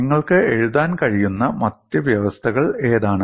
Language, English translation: Malayalam, And what other conditions that you can write